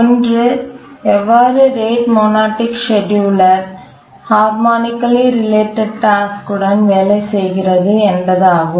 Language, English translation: Tamil, One is that how does the rate monotonic scheduler work with harmonically related tasks